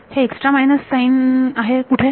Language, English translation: Marathi, This is an extra minus sign where